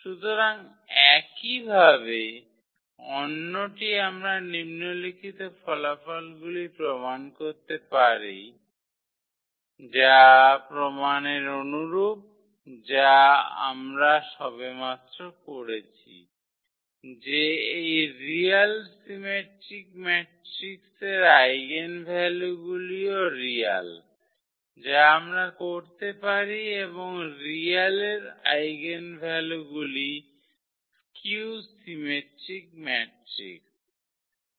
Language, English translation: Bengali, So, another similarly we can prove these following results which have the similar lines of the proof which we have just done, that the eigenvalues of this real symmetric matrix are also real that is what we can also do and the eigenvalues of real a skew symmetric matrix